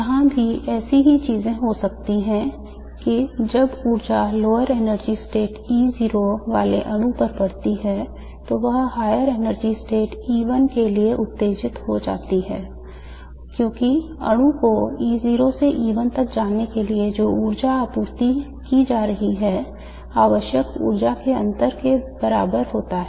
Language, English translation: Hindi, Similar things can happen here that when the energy falls on a molecule with the lower energy state E0, it gets excited to the higher state E1 because the difference in energy that is required for the molecule to go from E0 to E1 is equal to the energy that is being supplied